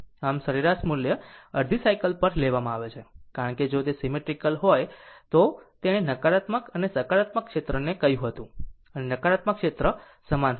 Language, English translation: Gujarati, So, the average value is taken over the half cycle because, if it is symmetrical, that I told you the negative and positive area and negative area will be same